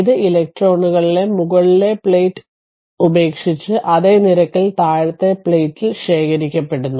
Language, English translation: Malayalam, And this electric field forces electrons to leave the upper plate at the same rate that they accumulate on the lower plate right